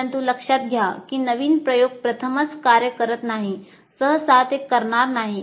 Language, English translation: Marathi, But note that new experiment does not necessarily work the first time